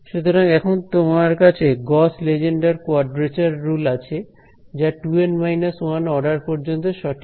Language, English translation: Bengali, So, you have a Gauss Lengedre quadrature rule which is accurate to order 2 N minus 1 right